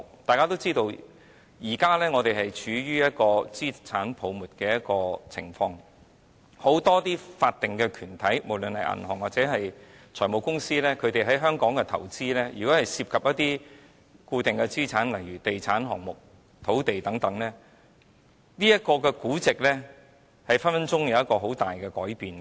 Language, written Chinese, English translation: Cantonese, 大家也知道，我們現正處於資產泡沫的情況，很多法定團體，不論是銀行或財務公司，如果它們在香港的投資涉及固定資產，例如地產項目、土地等，其股本價值動輒會有很大的改變。, President many of these are investment projects and as we all know the risks of an asset bubble are looming . With regard to many incorporated institutions be they banks or finance companies if their investment in Hong Kong involves fixed assets such as real estate development projects land and so on the value of the share capital is likely to change substantially